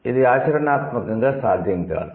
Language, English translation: Telugu, It is not practically possible